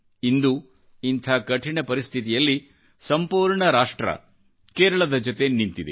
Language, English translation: Kannada, In today's pressing, hard times, the entire Nation is with Kerala